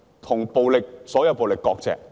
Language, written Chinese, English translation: Cantonese, 與所有暴力割席。, Sever ties with violence